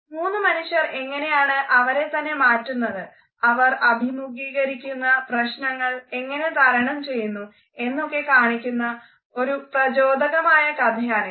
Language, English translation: Malayalam, It is an inspiring depiction of three people and how they are able to transform themselves and overcome their situations